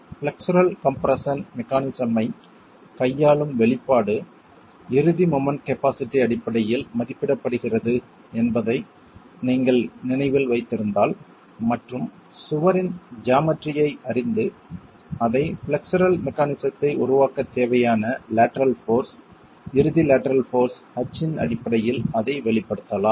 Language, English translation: Tamil, And if you remember the expression dealing with the flexural compression mechanism is estimated based on the ultimate moment capacity and then knowing the geometry of the wall you can express it in terms of the lateral force, ultimate lateral force H required for developing the flexual mechanism